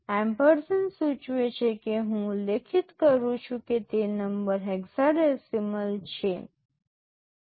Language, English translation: Gujarati, The ampersand indicates that the number I am specifying is in hexadecimal